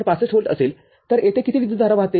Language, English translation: Marathi, 65 volt, how much current is flowing over here